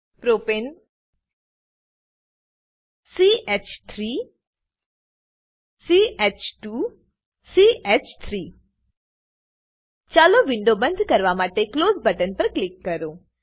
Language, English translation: Gujarati, Propane CH3 CH2 CH3 Lets click on Close button to close the window